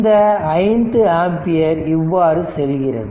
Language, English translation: Tamil, This is this this 5 ampere will circulate like this